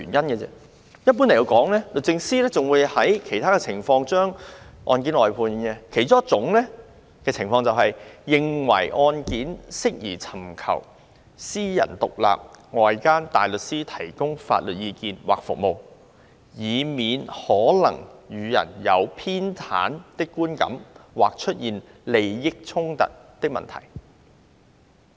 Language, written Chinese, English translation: Cantonese, 一般來說，律政司還會在其他情況下將案件外判，其中一種情況是，律政司認為案件適宜尋求外間獨立大律師提供法律意見或服務，以免予人有偏袒的觀感或出現利益衝突的問題。, But actually this is only one of the reasons for briefing out cases . Generally speaking DoJ will also brief out a case in some other situations such as when it is deemed appropriate to obtain independent outside counsels advice or services to address possible perception of bias or issues of conflict of interests